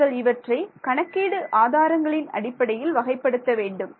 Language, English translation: Tamil, You want to classify them in terms of computational resources